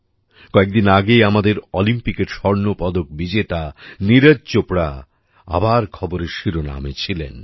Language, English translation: Bengali, Recently, our Olympic gold medalist Neeraj Chopra was again in the headlines